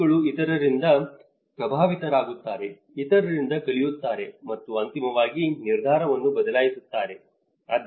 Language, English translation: Kannada, Individuals are influenced by others, learn from others and eventually, change the decision